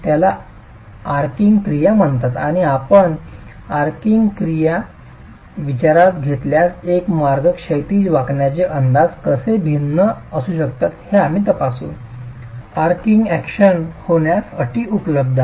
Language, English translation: Marathi, It's called an arching action and we will examine how one way horizontal bending estimates can be completely different if you consider arching action and the conditions are available for arching action to occur